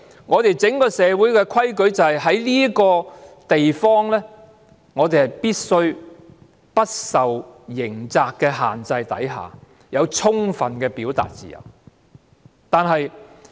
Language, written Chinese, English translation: Cantonese, 我們整個社會的規矩就是在這個地方，我們必須在不受刑責的限制下，有充分的表達自由。, The rule of the whole society is that in this very place we should have adequate freedom of expression without any restraint from criminal liability